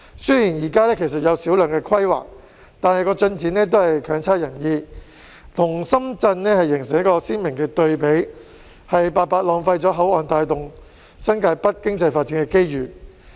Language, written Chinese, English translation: Cantonese, 雖然現時有小量規劃，但進展未如人意，跟深圳形成鮮明對比，白白浪費了口岸帶動新界北經濟發展的機遇。, Although there is a small amount of planning in place the progress has not been satisfactory hence forming a stark contrast with Shenzhen and wasting the opportunities provided by the boundary crossings to drive the economic development of New Territories North